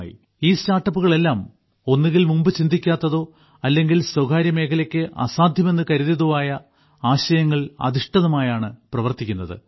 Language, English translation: Malayalam, All these startups are working on ideas, which were either not thought about earlier, or were considered impossible for the private sector